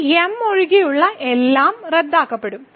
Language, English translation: Malayalam, So, everything other than this will cancel out